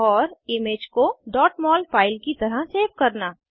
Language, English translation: Hindi, * Save the image as .mol file